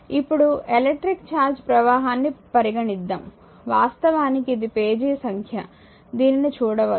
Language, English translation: Telugu, Now, consider the flow of electric charges a so, actually this is actually you do not look it this as the page number right